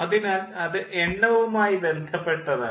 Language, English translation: Malayalam, so that is regarding the number